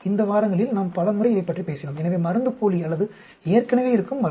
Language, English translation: Tamil, We talked about it in many times in the course of these weeks, so either placebo or existing drug